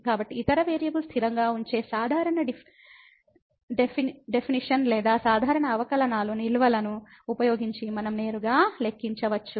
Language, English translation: Telugu, So, we can directly compute using the usual definition or usual a known reserves of the derivatives keeping other variable constant ok